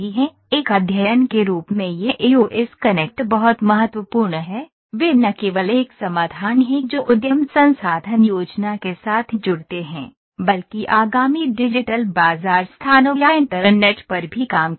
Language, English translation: Hindi, This EOS connect as a study is very important, they are not only a solutions that connect with enterprise resource planning, but also serve upcoming digital market places or internet of things platforms